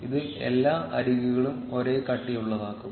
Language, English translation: Malayalam, This will cause all the edges to be of the same thickness